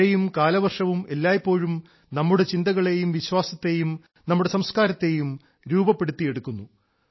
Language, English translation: Malayalam, At the same time, rains and the monsoon have always shaped our thoughts, our philosophy and our civilization